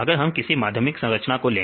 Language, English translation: Hindi, So, if we took the secondary structure